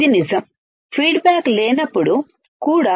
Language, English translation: Telugu, This is true even the feedback is not there ok